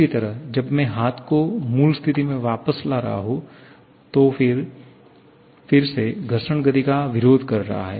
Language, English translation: Hindi, Similarly, when I am moving the hand back into the original position, again friction is opposing the motion